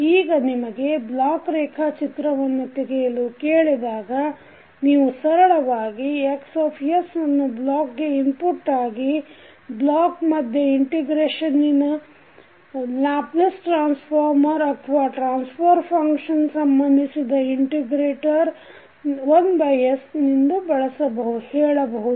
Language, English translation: Kannada, Now, when you are asked to find, to draw the block diagram you can simply write Xs as an input to the block, within the block you will have integrator the Laplace transform of the integrator or you can say the transfer function related to integrator that will be 1 by s into Ys